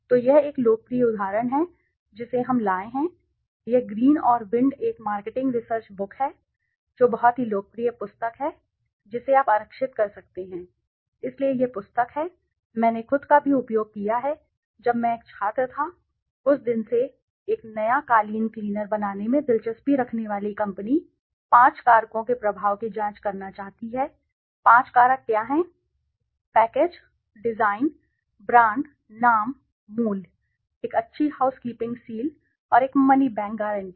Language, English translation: Hindi, So, this is a popular example we have brought from, this is from Green and Wind is a marketing research book which is very, very popular book, you can reserve, so this book is, I have used also myself when I was a student from that day, a company interested in make marketing a new carpet cleaner wants to examine the influence of five factors, what are the five factors, package, design, brand, name, price, a good housekeeping seal and a money back guarantee